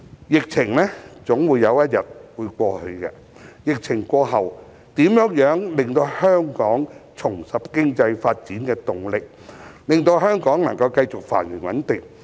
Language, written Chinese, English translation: Cantonese, 疫情總有一天會過去，疫情過後，如何令香港重拾經濟發展的動力，以及令香港繼續繁榮穩定？, The epidemic will pass one day . How can Hong Kong regain its momentum for economic development and sustain its prosperity and stability after the epidemic?